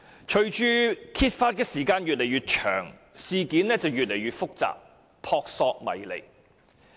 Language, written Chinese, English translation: Cantonese, 隨着揭發時間越來越長，事件變得越來越複雜，撲朔迷離。, As more and more time has passed since the incident came to light the incident has become increasingly complicated and mystifying